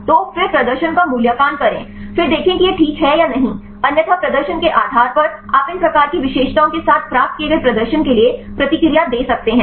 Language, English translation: Hindi, So, then evaluate the performance then see whether it is fine or not; otherwise based on the performance you can give the feedback for these performance obtained with these type of features